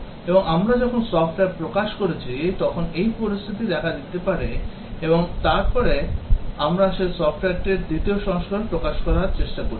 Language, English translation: Bengali, And the situation may occur when we have released software, and then we are trying to release the version 2 of that software